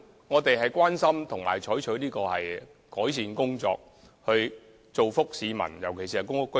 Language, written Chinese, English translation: Cantonese, 我們關注問題，並會採取改善措施，以造福市民，尤其是公屋居民。, We take the problems seriously and adopt measures to improve the situation for the benefit of the people especially public housing residents